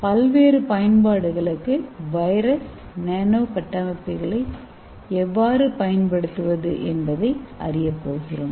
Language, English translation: Tamil, In this, we are going to see how to use virus and make use of those virus nano structures for various applications